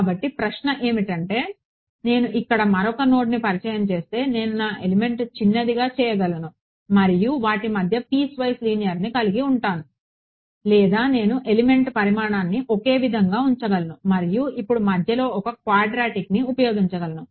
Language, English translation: Telugu, So, the question is if I introduce one more node over here I can make my element smaller and have linear piecewise linear between them or I can keep the element size the same and now use a quadratic in between